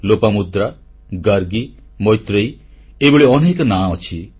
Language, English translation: Odia, Lopamudra, Gargi, Maitreyee…it's a long list of names